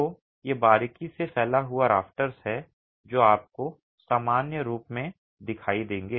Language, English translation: Hindi, So, these are closely spaced rafters that you would normally see